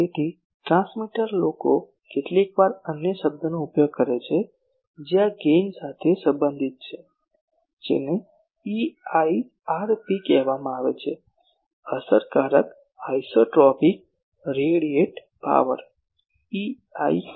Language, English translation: Gujarati, So, the transmitter people sometimes use another term which is related to this gain that is called EIRP; effective isotropic radiated power EIRP